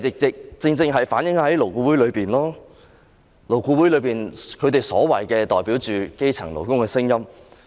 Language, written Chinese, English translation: Cantonese, 這正正反映了勞顧會內的情況，勞顧會內他們所謂的代表基層勞工的聲音。, This rightly reflects the situation within LAB and the so - called representative of grass - roots workers in LAB